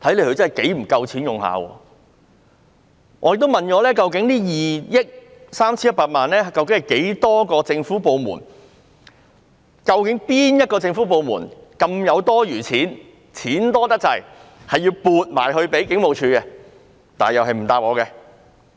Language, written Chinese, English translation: Cantonese, 我也詢問過，究竟這2億 3,100 萬元由多少個政府部門撥出，哪些政府部門有這麼多多餘錢撥予警務處，但他們同樣不答覆我。, I have also asked the 231 million were funded by how many government departments and which government departments had so much spare funding for paying HKPF . They gave me no reply either